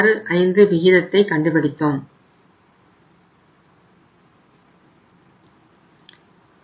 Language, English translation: Tamil, 8565 or now it has come down to 85